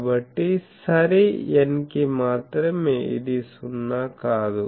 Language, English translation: Telugu, So, only for n even this is non zero